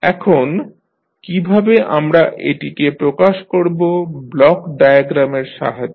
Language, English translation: Bengali, Now, how you will represent with the help of block diagram